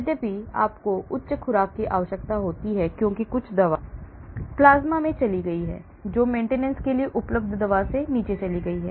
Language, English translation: Hindi, Although you require higher doses because some drug has gone to the plasma bound the drug available for maintenance has gone down